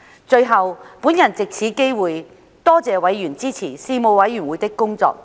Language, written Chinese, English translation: Cantonese, 最後，我藉此機會多謝委員支持事務委員會的工作。, Finally I take this opportunity to thank members for supporting the work of the Panel